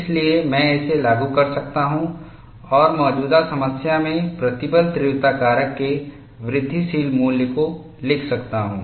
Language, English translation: Hindi, So, I can invoke this and write the incremental value of stress intensity factor in the current problem